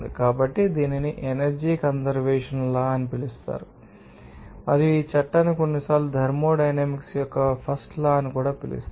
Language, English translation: Telugu, So, this is called that energy conservation law and this law is sometimes referred to as First Law of thermodynamics